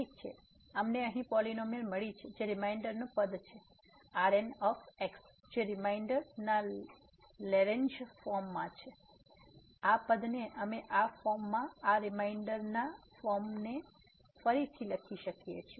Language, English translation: Gujarati, Well now, we got the polynomial here which is the remainder term the which is the Lagrange form of the remainder, this term we can also rewrite this remainder form in this form